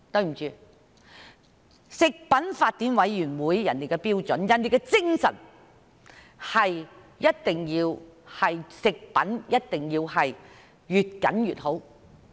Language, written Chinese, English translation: Cantonese, 抱歉，食品法典委員會訂定標準的精神，就是對食品的要求是越嚴謹越好。, Sorry the spirit of Codex in prescribing standards is to ensure that the requirements on food are as stringent as possible